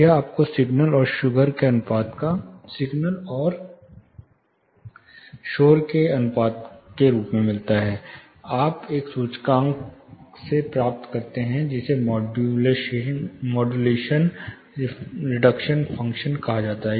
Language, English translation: Hindi, This you gets signal to noise ratio you get from an index call modulation reduction function